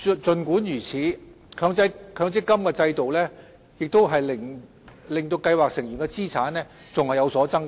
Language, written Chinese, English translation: Cantonese, 儘管如此，強積金制度仍令計劃成員的資產有所增加。, Nevertheless the MPF System has still resulted in increases in scheme members assets